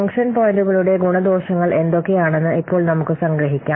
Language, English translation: Malayalam, So now let's summarize what are the pros and cons of the function points